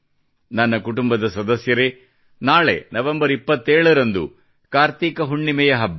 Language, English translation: Kannada, My family members, tomorrow the 27th of November, is the festival of KartikPurnima